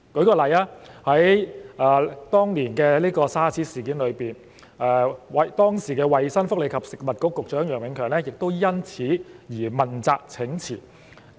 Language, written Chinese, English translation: Cantonese, 以當年的 SARS 事件為例，時任衞生福利及食物局局長楊永強因此而問責請辭。, Take the SARS outbreak as an example . Dr YEOH Eng - kiong the then Secretary for Health Welfare and Food resigned to take responsibility for the matter at that time